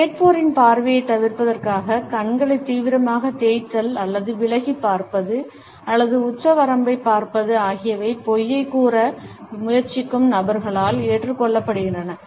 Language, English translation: Tamil, Vigorously rubbing the eyes or looking away or looking at the ceiling to avoid the listeners gaze is also adopted by those people who are trying to put across a lie